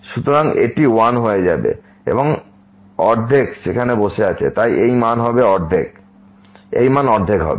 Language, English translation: Bengali, So, it will become 1 and the half is sitting there so, this value will be half